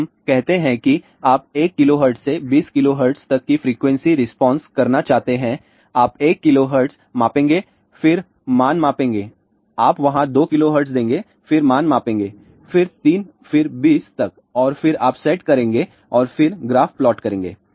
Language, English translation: Hindi, So, let us say you want to do frequency response from 1 kilohertz to 20 kilohertz, you will give 1 kilohertz you measure there you give 2 kilohertz then measure the value, then 3 then up to 20 and then you will set down and plot the graph